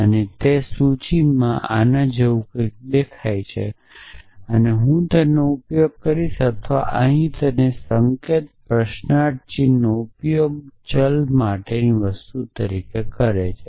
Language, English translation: Gujarati, And the in that notation what this will look like is a that I will use or here and the notation uses the question mark as a thing for variable